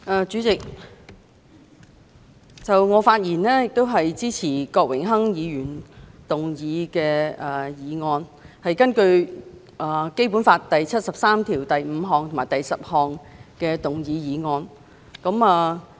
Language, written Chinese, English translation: Cantonese, 主席，我發言支持郭榮鏗議員根據《基本法》第七十三條第五項及第十項動議的議案。, President I rise to speak in support of Mr Dennis KWOKs motion moved pursuant to Article 735 and 10 of the Basic Law